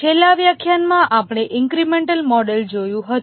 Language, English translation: Gujarati, In the last lecture we looked at the incremental model